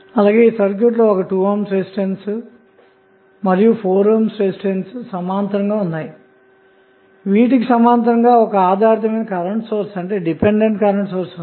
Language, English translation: Telugu, We just see that this circuit contains 2 ohm resistance in parallel with 4 ohm resistance so these two are in parallel and they in turn are in parallel with the dependent current source